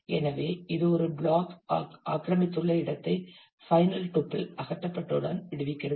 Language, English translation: Tamil, So, it frees the space occupied by a block; as soon as the final tuple has been removed